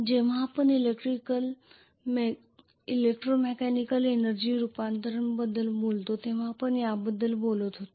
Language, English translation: Marathi, This is what we talked about when we talked about electro mechanical energy conversion